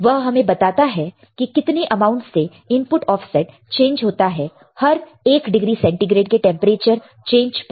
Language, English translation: Hindi, It tells about the amount of input offset changes with each degree of centigrade change in the temperature right